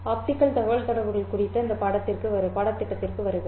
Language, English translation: Tamil, Welcome to this course on optical communications